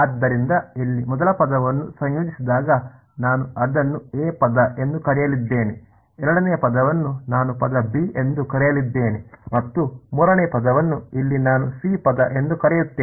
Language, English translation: Kannada, So, the first term over here when that integrates I am going to call it term a, the second term I am going to call term b and the third term over here I am going to call term c ok